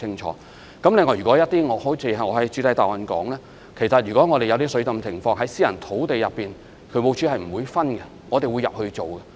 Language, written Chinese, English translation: Cantonese, 此外，正如我在主體答覆中所說，如果水浸情況在私人土地上發生，渠務署同樣會入內處理。, Besides as I said in the main reply if the flooding occurred on private land the staff of DSD will likewise be sent there to carry out clearance work